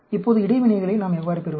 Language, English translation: Tamil, Now, how do we get the interactions